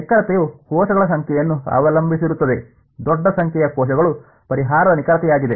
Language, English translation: Kannada, The accuracy depended on the number of cells right, the larger the number of cells the better was the solution accuracy right